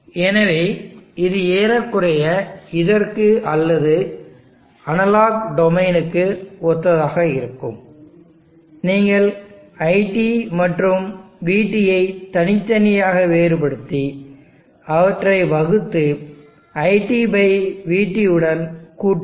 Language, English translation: Tamil, So this would be approximately same as this, or the analog domain you can differentiate IT separately and differentiate VT separately, divide them and + IT/VT